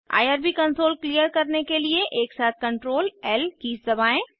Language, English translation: Hindi, Clear the irb console by pressing Ctrl, L simultaneously